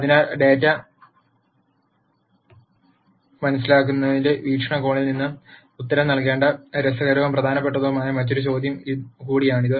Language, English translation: Malayalam, So, that is also another interesting and important question that we need to answer from the viewpoint of understanding data